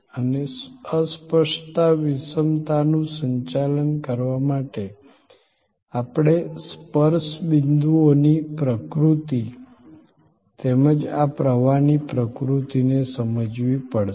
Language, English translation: Gujarati, And to manage the intangibility, the heterogeneity, we have to understand the nature of the touch points as well as the nature of this flow